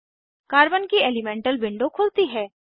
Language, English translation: Hindi, I will close the Carbon elemental window